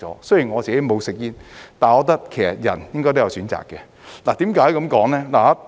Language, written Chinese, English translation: Cantonese, 雖然我不吸煙，但我覺得人應該有選擇權的。, Though I am not a smoker I think people should have the right to choose